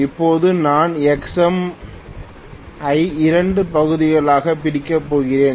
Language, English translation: Tamil, Now, I am going to divide Xm also into 2 portions